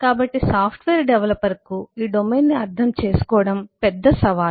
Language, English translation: Telugu, so it is the big challenge for the software developer to understand this domain